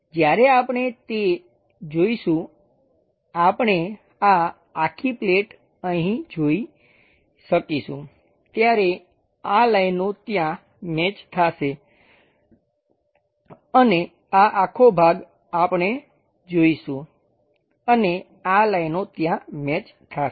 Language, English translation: Gujarati, When we are visualizing that we will be in a position to see this entire plate here this line maps onto that line and this entire portion we will see and these lines maps onto that